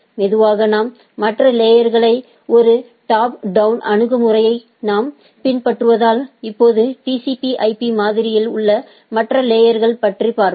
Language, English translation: Tamil, Slowly we will look at other layers other as we are following a, top down approach now we will look at the other layers on the TCP/IP model